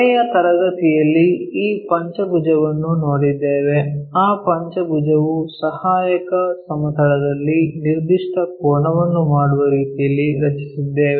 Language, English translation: Kannada, In the last class we have seen this pentagon, in that pentagon auxiliary plane we have made in such a way that that was making a particular angle